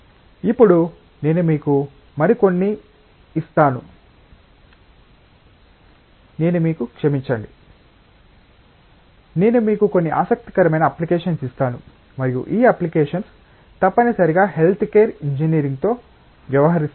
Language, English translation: Telugu, Now, I will give you couple of more I will give you a couple of sorry, I will give you a couple of more interesting applications and these applications essentially deal with health care engineering